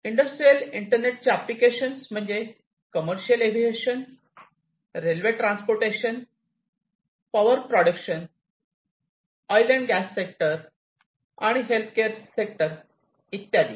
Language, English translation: Marathi, Different applications of the industrial internet commercial aviation, rail transportation, power production, oil and gas sectors, and healthcare